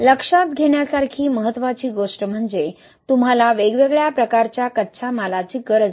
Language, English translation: Marathi, Also important thing to note is you don’t need different kinds of raw materials